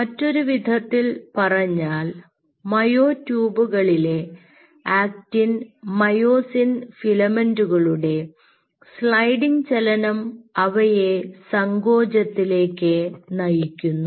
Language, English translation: Malayalam, in other word, there will be a sliding motion of the actin and myosin filaments within the myotubes, leading to contraction